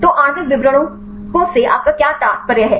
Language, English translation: Hindi, So, what do you mean by molecular descriptors